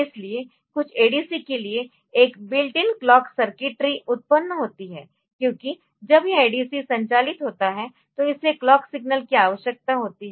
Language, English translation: Hindi, So, for some of the ADC's this there is a built in clock circuitry generated because when it this ADC operating